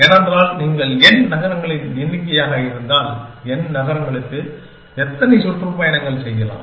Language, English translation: Tamil, For, if you number of n cities, how many tours can we have for the n cities